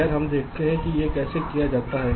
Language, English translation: Hindi, well, lets see how it is done